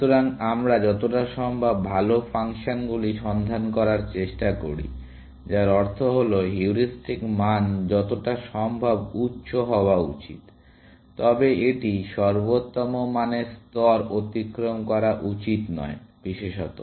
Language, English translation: Bengali, So, we try to look for as good functions as possible, which means, that the heuristic value must be as high as possible, but it should not cross the level of the optimal value, especially